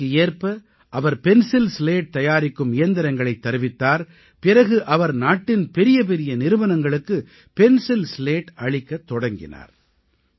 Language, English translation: Tamil, With the passage of time, he bought pencil slat manufacturing machinery and started the supply of pencil slats to some of the biggest companies of the country